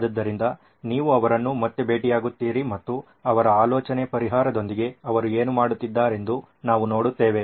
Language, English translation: Kannada, So you will meet them again and we will see what they do with their idea, their solution